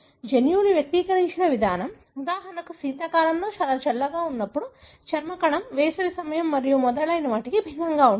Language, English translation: Telugu, The way the genes are expressed during, for example winter time when it is very cold, skin cell is going to be different from summer time and so on